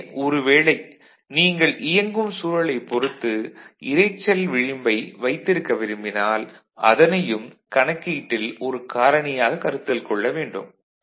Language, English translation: Tamil, So, if you want to keep a noise margin of a desired value depending on the environment in which it is operating, then you have to consider that also into our calculation, that factor